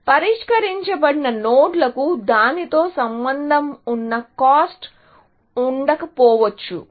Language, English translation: Telugu, The solved nodes may not have any cost associated with it